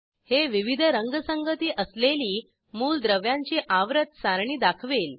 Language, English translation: Marathi, It shows Periodic table with different Color schemes